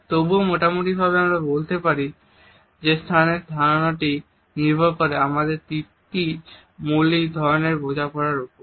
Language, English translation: Bengali, Still roughly we can say that the understanding of space is governed by our understanding of three basic types